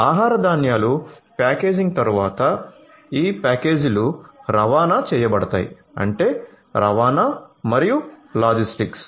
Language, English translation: Telugu, After packaging of the food grains these packages are going to be transported transportation, transportation and logistics